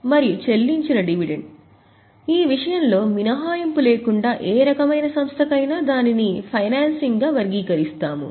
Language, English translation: Telugu, And for dividend paid it is very simple for any type of enterprise without exception we will categorize it as a financing